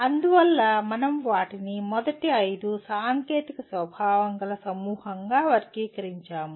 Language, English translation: Telugu, And that is why we grouped them as the first 5 into one group, technical in nature